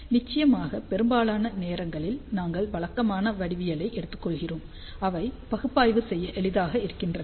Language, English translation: Tamil, Of course, most of the time, we take regular geometries, which become easier to analyze